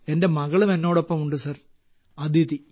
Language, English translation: Malayalam, My daughter Aditi too is with me Sir